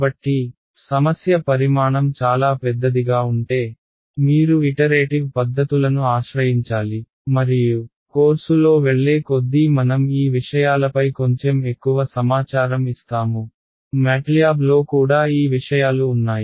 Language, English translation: Telugu, So, if the problem size is very very large you need to resort to iterative methods and as the course goes I will give you little bit more information on these things, MATLAB also has these things in built alright